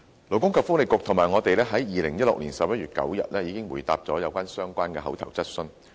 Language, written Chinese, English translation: Cantonese, 勞工及福利局及我們在2016年11月9日已回答了相關口頭質詢。, Both the Labour and Welfare Bureau and our bureau already replied to a relevant oral question on 9 November 2016